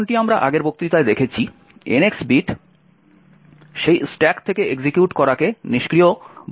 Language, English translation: Bengali, As we have seen in the previous lecture the NX bit would disable executing from that stack